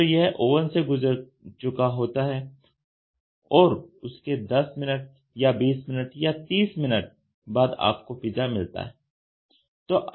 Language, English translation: Hindi, So, it is passed through the oven, and then you get out after 10 minutes or 20 minutes or 3 minutes you get a pizza right